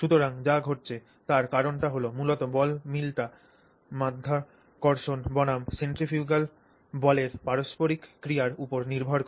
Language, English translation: Bengali, So, the reason that happens is basically because the ball mill depends on the interplay of gravity versus the centrifugal force